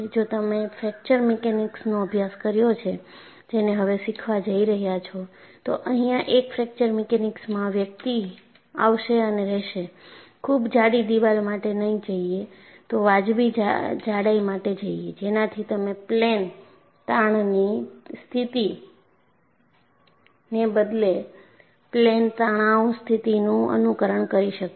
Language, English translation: Gujarati, And if you have done a course in fracture mechanics, which is what you are going to learn now, a fracture mechanics person will come and say, do not go for a very thick wall; go for a reasonable thickness, so that, you stimulate a plane stress condition rather than a plane strain condition